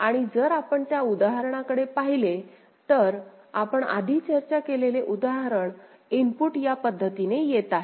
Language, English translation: Marathi, And if you look at the that same example the example that we had discussed before, the input is coming in this manner ok